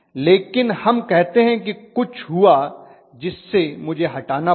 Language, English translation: Hindi, But let us say something happened and I had to remove